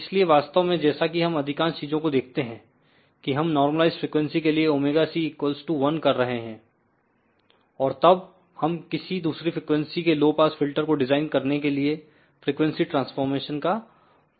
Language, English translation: Hindi, So, in fact, most of the things as we will see that we have going to do for normalize frequency omega c equal to 1, and then we use the frequency transformation to design the desired low pass filter at the other frequency